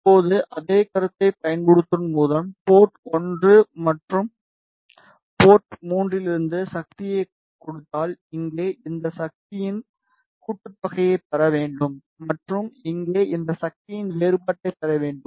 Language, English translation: Tamil, Now, just to highlight one more thing if we give power from port 1 and port 3 by using a same concept here we should get the sum of these power and here we should get the difference of these power